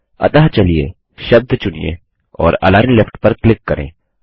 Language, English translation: Hindi, So, lets select the word and click on Align Left